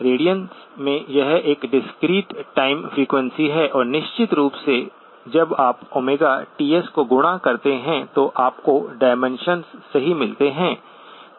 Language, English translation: Hindi, This one is the discrete time frequency in radians and of course, when you multiply Omega times Ts, you get the dimensions correct